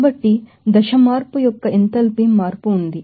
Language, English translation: Telugu, So, enthalpy change of the phase change is there